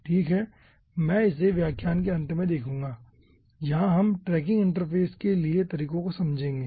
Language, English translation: Hindi, at the end of this lecture we will be understanding methods for tracking interface